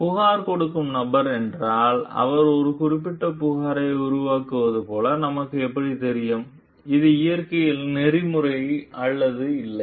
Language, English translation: Tamil, If the person who is making the complaint, how do we know like he is making a particular complaint which is ethical in nature or not